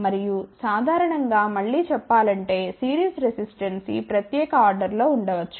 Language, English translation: Telugu, And, generally speaking again series resistance may be of this particular order